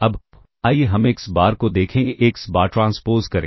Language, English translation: Hindi, Now, let us look at xBar transpose AxBar